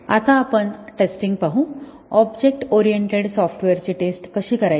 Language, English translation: Marathi, Now, let us look at testing, how do we go about testing object oriented software